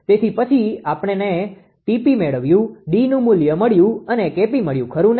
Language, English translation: Gujarati, So, then Tp we got then D value we got K p we got, right